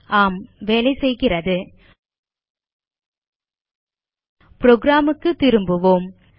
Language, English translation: Tamil, Yes it is working Now come back to our program